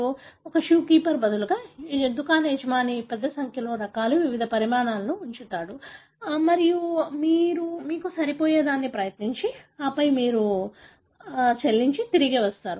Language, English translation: Telugu, You know, the shoe keeper, rather the, the shop owner keeps a large number of varieties, different sizes and you try out something that fits you and then you pay and then come back